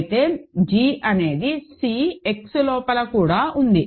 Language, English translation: Telugu, Then of course, g is inside C X also right